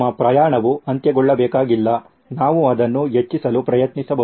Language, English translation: Kannada, Our journey does not have to come to an end we can actually try to prolong it